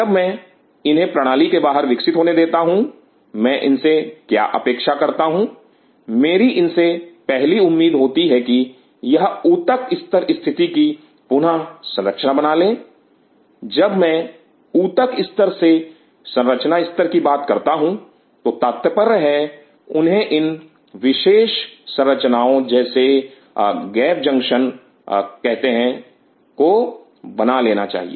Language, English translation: Hindi, Once I allow them to grow outside the system what do I expect from them the first thing what do I do expect from them is to regain this tissue level site to architecture; when I talk about the tissue level site to architecture they should develop these specialized structures called gap junctions